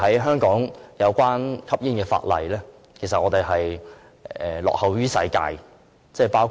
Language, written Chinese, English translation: Cantonese, 香港有關吸煙的法例，其實是落後於世界的。, Smoking - related laws in Hong Kong are actually lagging behind those in other parts of the world